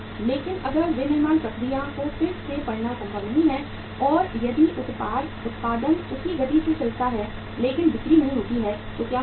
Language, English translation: Hindi, But if it is not possible to readjust the manufacturing process and if the production goes on with the same pace but the sales do not pick up so what happens